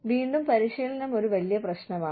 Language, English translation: Malayalam, Again, training is a big issue